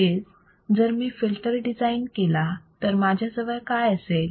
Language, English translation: Marathi, That means, that if I design a filter then what will I have